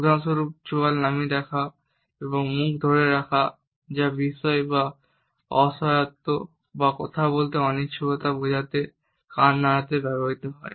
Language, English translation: Bengali, For example, dropping the jaw and holding the mouth which is used to indicate surprise or shrugging the shoulders to indicate helplessness or your unwillingness to talk